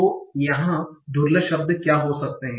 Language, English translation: Hindi, So what can be the rare words here